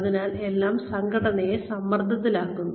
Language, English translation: Malayalam, So, everything is putting a pressure on the organization